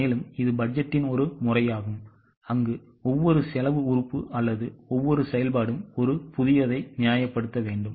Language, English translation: Tamil, So, this is a method of budgeting where each cost element or each activity has to justify it afresh